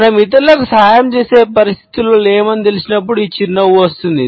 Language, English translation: Telugu, This smile is passed on when we know that we are not in a situation to help the other people